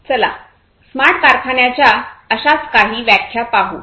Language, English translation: Marathi, So, let us look at one such definition of smart factory